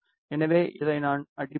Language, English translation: Tamil, So, I will hit on this